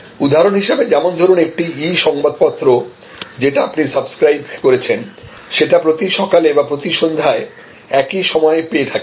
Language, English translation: Bengali, Example, you receive a e newspaper to which you have subscribed, at the same time every morning or every evening